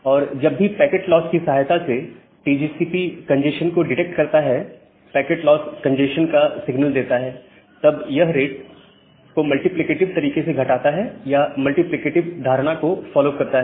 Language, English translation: Hindi, And whenever TCP detects a congestion with the help of a packet loss, where packet loss gives a signal to congestion, then it drops the rate in a multiplicative way or following a multiplicative notion